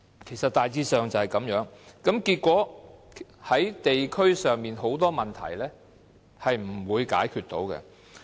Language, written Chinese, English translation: Cantonese, 其實大致上就是這樣，結果導致地區上很多問題都無法解決。, That is basically the case . Consequently many problems in the districts remain unsolved